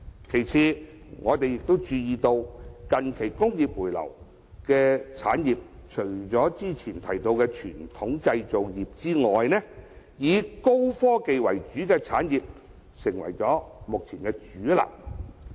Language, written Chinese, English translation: Cantonese, 其次，我們亦注意到近期回流的產業中，除早前提到的傳統製造業外，以高科技為主的產業已成為目前的主流。, In addition we also notice that among the industries that have relocated back to Hong Kong apart from the above mentioned traditional manufacturing industries the high technology industries have become the mainstream